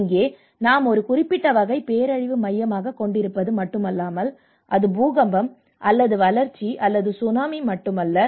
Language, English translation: Tamil, Here we have moved our dimension not just only focusing on a particular type of a disaster, it is not just only earthquake, it is not only by a drought, it is not by only tsunami